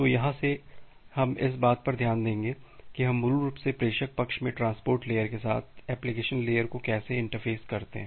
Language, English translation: Hindi, So, from here let us look into that how we basically interface the application layer with the transport layer at the sender side